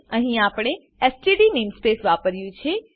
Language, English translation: Gujarati, Here we have used std namespace